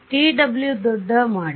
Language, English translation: Kannada, So, make t w large right